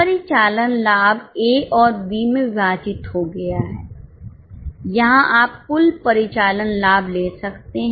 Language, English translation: Hindi, Operating profit broken into A and B, here you can take the total operating profit